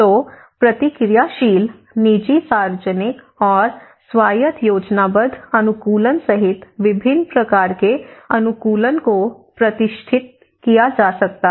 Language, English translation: Hindi, So, various types of adaptation can be distinguished including anticipatory and reactive adaptation, private and public adaptation and autonomous planned adaptation